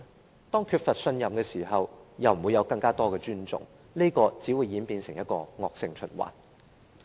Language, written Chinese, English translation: Cantonese, 當政府缺乏市民信任的時候，便不會獲得更多的尊重，這樣只會演變成一個惡性循環。, When the Government lacks trust from the people it will not get any more respect . This will only develop into a vicious cycle